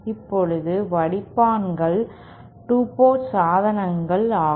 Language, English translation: Tamil, Let us go to some 2 port devices